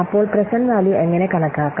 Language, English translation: Malayalam, So, how we can compute the present value